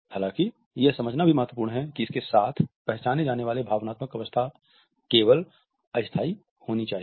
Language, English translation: Hindi, However, it is also important to realize that the emotional state which is identified with it should be only temporary